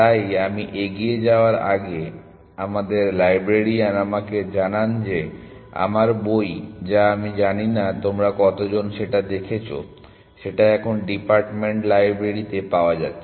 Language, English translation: Bengali, So, before I move on our librarian informs me that, my book which I do not know how many of you have seen is now available in the department library